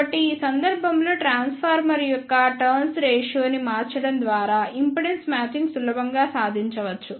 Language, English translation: Telugu, So, in this case the impedance matching can be easily achieved by just changing the turn ratio of the transformer